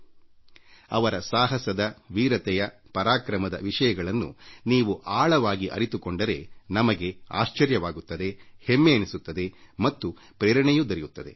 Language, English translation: Kannada, When we get to know the in depth details of their courage, bravery, valour in detail, we are filled with astonishment and pride and we also get inspired